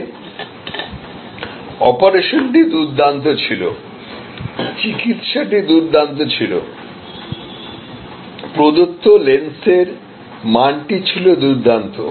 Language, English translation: Bengali, But, the operation was excellent, the treatment was excellent, the quality of lens provided was excellent